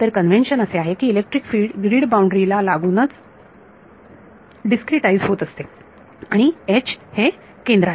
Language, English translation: Marathi, So, the convention is the electric field is being discretized along the along the grid boundaries and H at the center